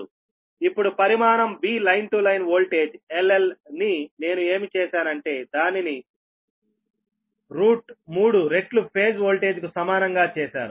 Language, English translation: Telugu, so now, magnitude v, line to line voltage l dash l i have made is equal to root three times phase voltage